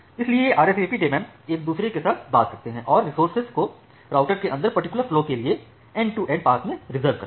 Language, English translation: Hindi, So these RSVP daemons talk with each other and the reserve the resources for a particular flow inside every routers in the end to end path